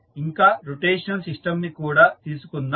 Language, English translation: Telugu, Let us take the rotational system also